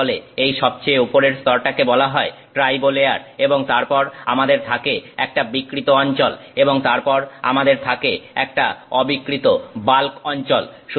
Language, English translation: Bengali, This is called the topmost layer is called tribo layer and then we have a deformed region and then we have an undeformed bulk region